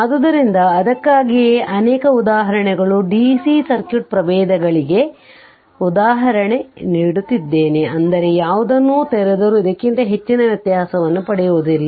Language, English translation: Kannada, So, that is why so, many examples I am giving for DC circuit varieties of example such that whatever whichever takes be to open you will I believe that, you may not get much more variation than this one ok